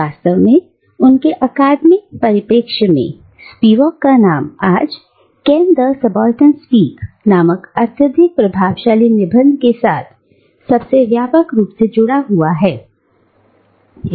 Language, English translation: Hindi, And indeed, at least within the academic circles, Spivak’s name is today most widely associated with the highly influential essay titled "Can the Subaltern Speak